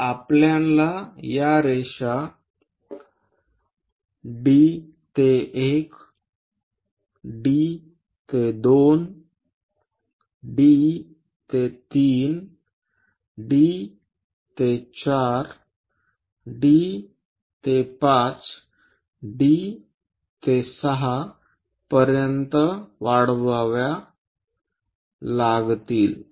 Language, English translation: Marathi, So, we have to extend these lines D to 1 D to 2 D to 3 D to 4 D to 5 D to 6